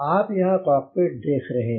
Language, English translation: Hindi, so you can see the cockpit here